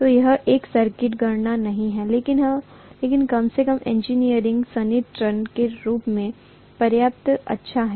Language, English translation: Hindi, So it is not an exact calculation but at least it is good enough as an engineering approximation